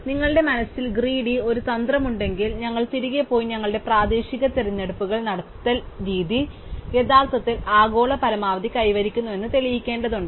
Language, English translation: Malayalam, So, if you have a greedy strategy in mind, we need to go back and prove that the way we made our local choices actually achieves the global optimum